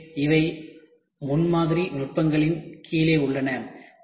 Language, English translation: Tamil, So, these are under prototyping techniques